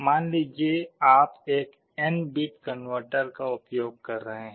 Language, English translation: Hindi, Suppose you are using an n bit converter